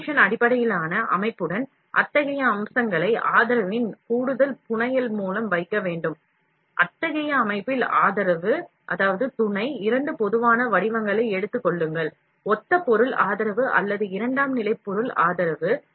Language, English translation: Tamil, With extrusion based system, such features must be kept in place by the additional fabrication of supports; support in such system, take two general forms, similar material support or secondary material support